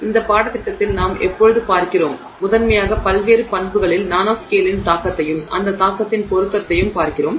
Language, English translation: Tamil, And so in this course we are now looking at you know primarily looking at nanoscale, impact of nanoscale on various properties and the relevance of that impact